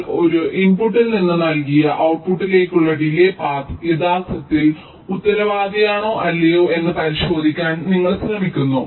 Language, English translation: Malayalam, so you try to check whether the path is actually responsible for the delay from an input to ah given output or not